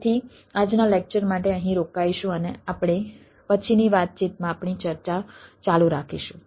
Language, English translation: Gujarati, so will stop here for todays lecture and will continue with our discussion in subsequent talks, thank you,